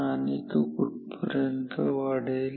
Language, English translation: Marathi, And how long will it increase